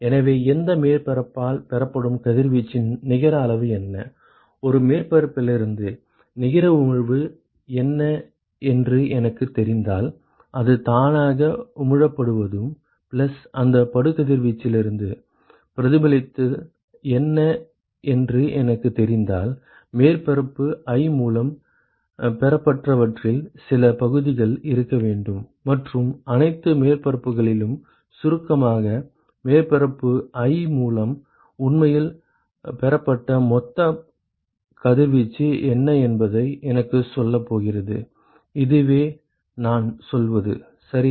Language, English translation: Tamil, So, we only said that what is the net amount of irradiation that is received by any surface, if I know what is the net emission from a surface, that is what is emitted by itself plus whatever is reflected from the incident if I know that, then there has to be some fraction of that which received by surface i and that summed over all the surfaces is going to tell me what is the total radiation that is actually received by surface i, that is all i am saying right